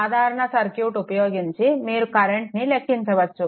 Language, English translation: Telugu, Using the simple circuit, you can calculate the current